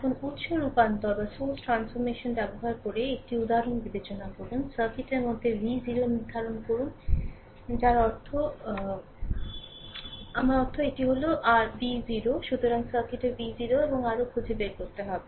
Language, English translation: Bengali, Now, consider one example using source transformation you determine v 0 in the circuit for I mean I mean this is your this is your v 0